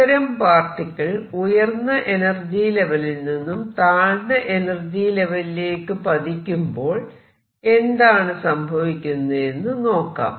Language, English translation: Malayalam, Now, let us see what happens when this particle makes a jump from an upper level to a lower level